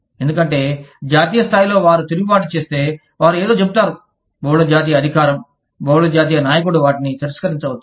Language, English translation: Telugu, Because, if at the national level, they revolt, they say something, the multi national authority, the multi national leader, may reject them